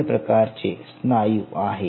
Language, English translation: Marathi, so there are three muscle types